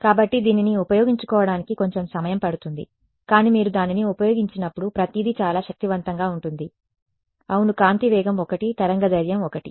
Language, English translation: Telugu, So, it takes a little getting used, but once you get to used it is very powerful everything is normal yeah speed of light is 1 wave length is 1